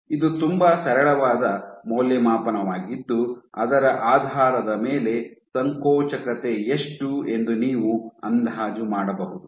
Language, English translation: Kannada, So, this is a very simple assay based on which you can estimate how much is the contractility